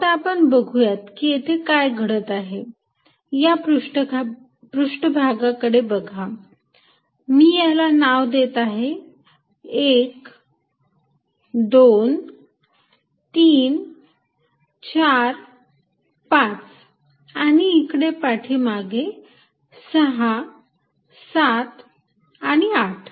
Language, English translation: Marathi, Let us really see what happens, let us look at the surface let me name it 1, 2, 3, 4, 5 in the backside 6, 7 and 8